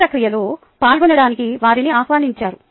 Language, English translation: Telugu, they were invited to participate in the process